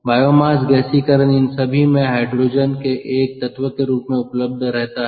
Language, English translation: Hindi, biomass gasification so all these have hydrogen as an element, right